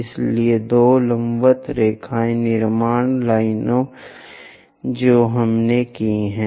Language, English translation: Hindi, So, two perpendicular lines construction lines we have done